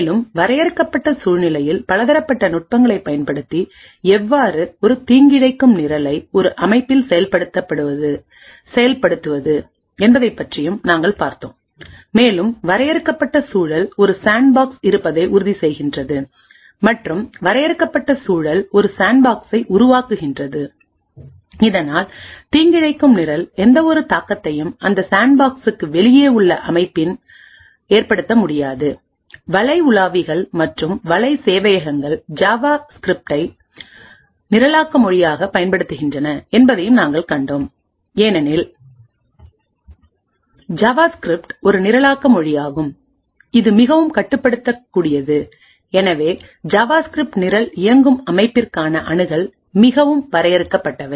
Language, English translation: Tamil, We have also looked at various techniques by which we could have confinement wherein a malicious program could be executed in a system and the confined environment makes sure that there is a sandbox and the confined environment creates a sandbox so that the malicious program does not influence any aspect of the system outside of that sandbox we had also seen that web browsers and web servers make use of JavaScript as the programming language essentially because JavaScript is a programming language which is highly restrictive and therefore access to the system in which a JavaScript program executes is very limited